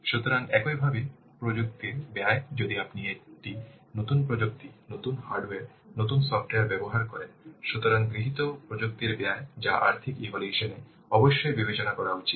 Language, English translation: Bengali, So, similarly then the cost of technology, if you will use a new technology, new hardware, new software, so the cost of technology adopted that must be taken into account in the financial assessment